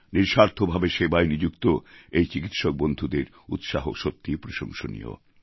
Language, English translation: Bengali, The dedication of these doctor friends engaged in selfless service is truly worthy of praise